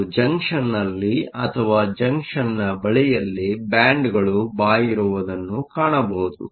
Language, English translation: Kannada, And, at the junction or near the junction will find that the bands bend